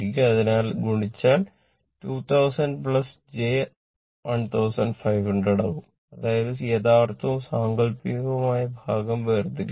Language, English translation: Malayalam, Therefore, if you multiply it will become 2 thousand plus j 15 100 right so; that means, separate real and imaginary part